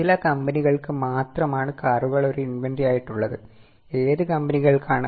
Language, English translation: Malayalam, Only for certain companies car is an inventory